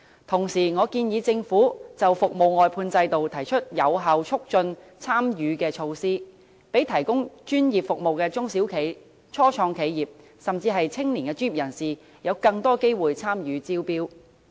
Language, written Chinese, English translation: Cantonese, 同時，我建議政府就服務外判制度提出有效促進參與的措施，讓提供專業服務的中小企、初創企業，甚至年青專業人士有更多機會參與招標。, Meanwhile I propose that the Government should put forward measures to effectively facilitate participation in the service outsourcing system of the Government by providing more opportunities for small and medium enterprises SMEs engaging in the provision of professional services business start - ups and even young professionals to take part in tendering